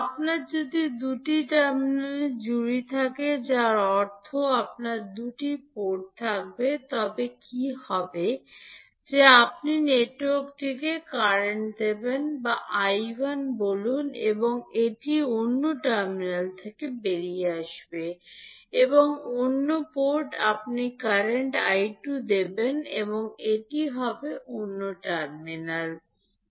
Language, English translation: Bengali, If you have pair of two terminals means you will have two ports, then what will happen that you will give current to the network say I1 and it will come out from the other terminal and at the other port you will give current I2 and it will come out from the other terminal, so what you can do you